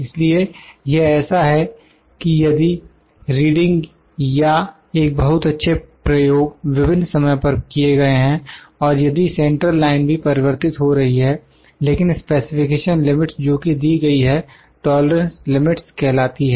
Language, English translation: Hindi, So, it is such that; it is such that even if the readings or the very well experiments are done at different times and the central limit if is the central line is also varying, but the specification limits are defined which are given are also called known as a tolerance limits